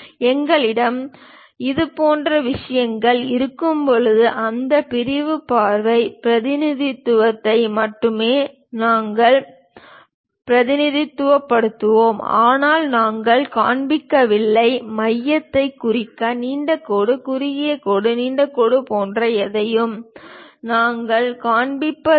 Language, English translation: Tamil, When we have such kind of thing, we will represent only that sectional view representation; but we we do not show, we do not show anything like long dash, short dash, long dash to represent center